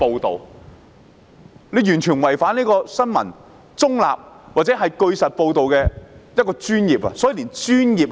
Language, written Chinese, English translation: Cantonese, 他們完全違反新聞中立或據實報道的專業精神。, They have basically contravened the neutrality of news coverage or the professionalism in truthful reporting